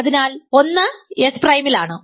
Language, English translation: Malayalam, So, 1 is in S prime